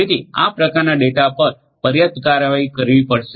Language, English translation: Gujarati, So, this kind of data will have to be dealt with adequately